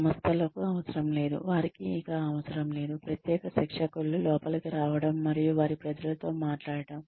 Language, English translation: Telugu, Organizations do not, they no longer need, specialized trainers to come in, and talk to their people